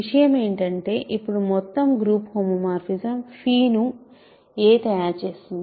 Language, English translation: Telugu, The point is a now determines the entire group homomorphism phi